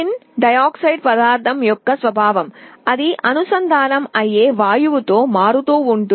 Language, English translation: Telugu, The property of this tin dioxide material varies with the kind of gas that it is being exposed to